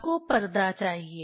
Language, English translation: Hindi, You need screen